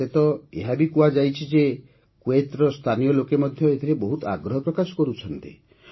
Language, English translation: Odia, I have even been told that the local people of Kuwait are also taking a lot of interest in it